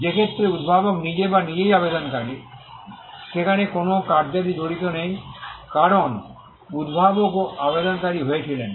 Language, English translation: Bengali, In a case where the inventor himself or herself is the applicant, then, there is no assignment involved because, the inventor also became the applicant